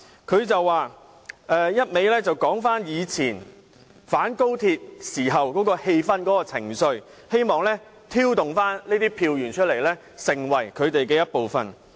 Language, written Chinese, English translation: Cantonese, 他不斷提及過往的反高鐵氣氛和情緒，希望挑動當中的人站出來成為他們的一部分。, He kept talking about the anti - XRL atmosphere and sentiments in the past in the hope of inciting those involved to step forward and join them